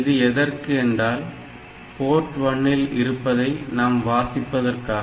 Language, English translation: Tamil, So, this is required because we want to read the content from Port 1